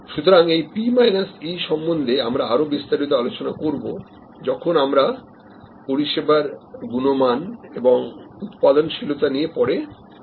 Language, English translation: Bengali, So, this P minus E which we will discuss in greater detail when we discuss service quality and productivity later on